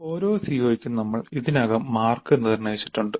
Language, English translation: Malayalam, Then for each COO we already have determined the marks